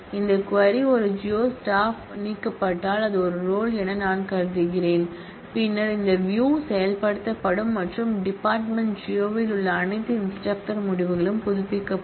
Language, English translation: Tamil, And if this query is fired by a geo staff member, which I am assuming is a role then this view will get executed and the results of all instructors in the department geology will be update